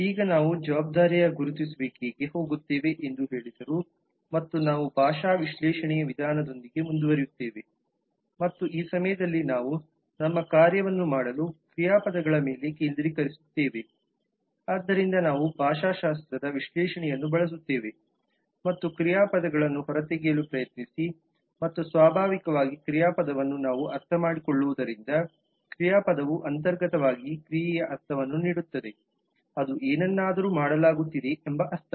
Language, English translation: Kannada, now having said that now we move on to the identification of responsibility and we will continue with the linguistic analysis approach and this time we will focus on the verbs to do our task so it will be like this that we will use the linguistic analysis and try to extract verbs and naturally verb as we can understand verb inherently gives a sense of action, it is a sense of something being done